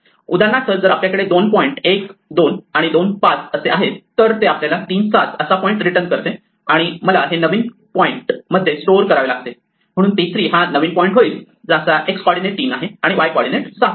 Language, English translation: Marathi, For instance, if we have two points at 1, 2 and 2, 5 then this will return a point at 3, 7 and I must store it in new point, so p 3 now becomes a new point whose x coordinate is 3 and y coordinate is 7